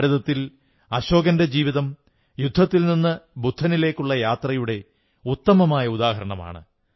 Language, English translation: Malayalam, And in India, Ashok's life perfectly epitomizes the transformation from war to enlightenment